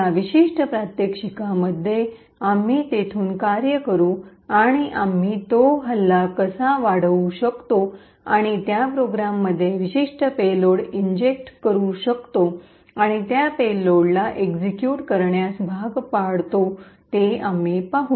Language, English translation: Marathi, In this particular demonstration we will work from there and we will see how we can enhance that attack and inject a particular payload into that program and force that payload to execute